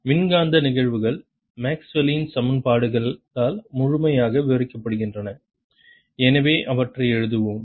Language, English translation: Tamil, electromagnetic phenomena is described completely by maxwell's equations